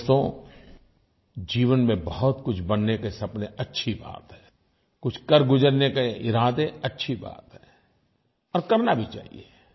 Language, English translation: Hindi, Friends, dreams of making it big in life is a good thing, it is good to have some purpose in life, and you must achieve your goals